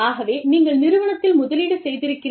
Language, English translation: Tamil, So, you are invested in the organization